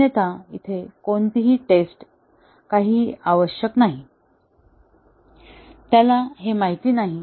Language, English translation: Marathi, Otherwise, no testing, nothing will be necessary; he does not know that